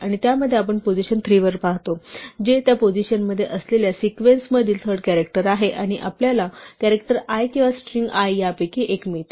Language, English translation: Marathi, And in that we look at position 3 which is the third character in the sequence contained in that position and we get the character l or the string l actually